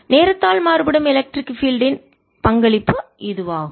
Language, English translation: Tamil, so this is the contribution due to time, varying electric field